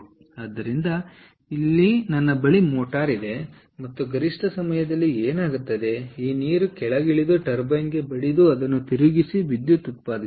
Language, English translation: Kannada, and during peak hours, what happens is this water comes down and hits the turbine and rotates it and generates electricity